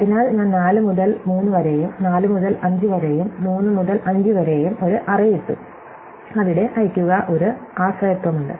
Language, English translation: Malayalam, So, I put an arrow from 4 to 3 and 4 to 5 and 3 to 5, saying that there is this dependency